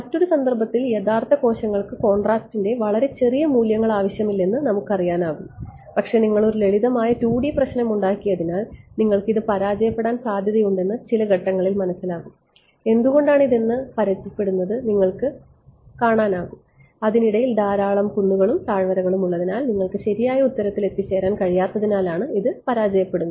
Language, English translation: Malayalam, And then at some point they realized oh you know realistic tissue need not have very small values of contrast, but are methods are failing you can because you made a simple 2 D problem you can you can see this until why it is failing; its failing because there are so many hills and valleys in between that you are not able to reach the correct answer